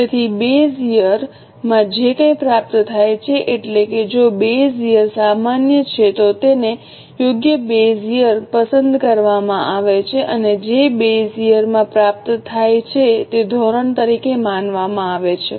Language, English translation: Gujarati, So, whatever is achieved in the base here, if the base here is normal, a suitable base here is chosen and whatever is achieved in the base here is considered as a standard